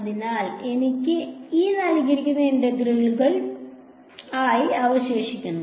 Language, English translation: Malayalam, So, what will this integral be